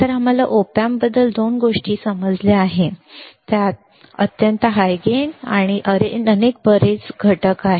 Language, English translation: Marathi, So, two things we understood about op amp, it has extremely high gain and it has lot of components